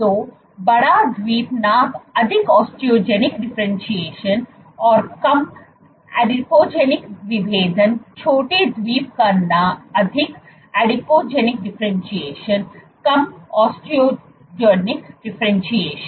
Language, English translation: Hindi, So, bigger the Island size more Osteogenic differentiation less Adipogenic differentiation, smaller the Island size more Adipogenic differentiation less Osteogenic differentiation